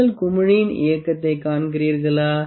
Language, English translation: Tamil, Do you find the movement in the bubble